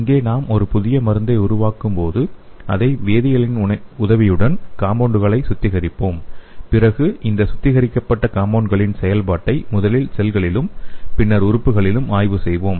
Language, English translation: Tamil, So here when you make a new drug, we will be purifying the compounds with the help of chemistry and will be studying the effect of these purified compounds on the cells first and then on the organs